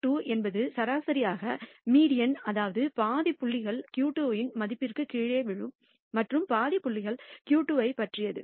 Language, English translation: Tamil, Q 2 is exactly the median which means half the number of points fall below the value of Q 2 and half the number of points are exactly about Q 2